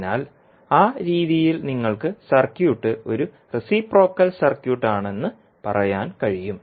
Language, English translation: Malayalam, So, in that way you can say that the circuit is a reciprocal circuit